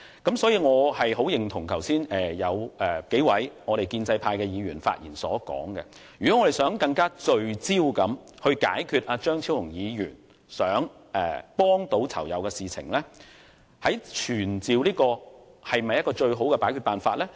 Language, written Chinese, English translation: Cantonese, 因此，我十分認同數位建制派議員剛才發言時所提出，如果我們要更聚焦處理張超雄議員想幫助囚友的事宜，傳召懲教署署長或助理署長是否最好的辦法？, Hence I agree very much with the query of several pro - establishment Members made in their speeches which was whether summoning the Commissioner or Assistant Commissioner of Correctional Services was the best way if we wanted to be more focused to deal with Dr Fernando CHEUNGs matter about helping the inmates